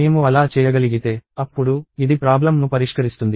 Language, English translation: Telugu, If I am capable of doing that; then, this would solve the problem